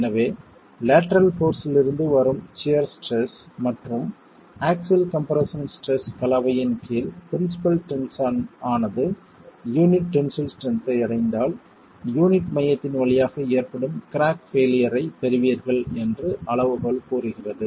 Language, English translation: Tamil, So, the criterion says that if under a combination of axial compression and shear stress from the lateral force, the principal tension reaches the tensile strength of the unit, then you get the failure, the crack occurring through the center of the unit